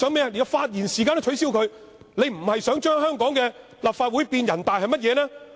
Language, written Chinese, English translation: Cantonese, 他想連發言時間也取消，他不是想將香港的立法會變成人大，又是甚麼呢？, He wants to even cancel Members speaking time . If he is not trying to turn the Legislative Council of Hong Kong into NPC what else he is trying to achieve?